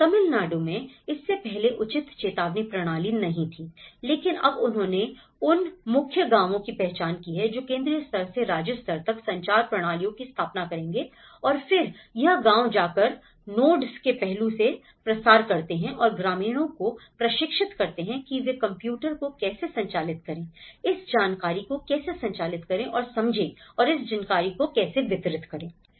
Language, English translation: Hindi, In Tamil Nadu, before that there was not proper early warning systems but now what they did was, they have identified the core villages which will have set up of the communication systems from the central level to the state level and then it goes to the village nodes and where they disseminate this aspect and the train the villagers to how to operate the computers, how to operate and understand this information and how to send this information